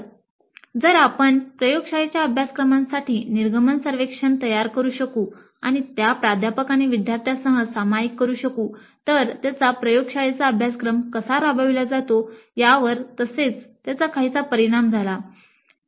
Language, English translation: Marathi, So, if we can design an exit survey for the laboratory courses upfront and share it with faculty and students, it has some positive impact on the learning as well as the way the laboratory course is implemented